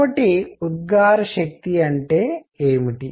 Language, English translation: Telugu, So, what is emissive power